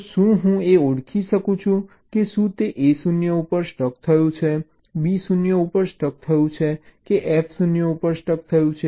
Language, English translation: Gujarati, so can i distinguish whether it says a stuck at zero, b stuck at zero or f stuck at zero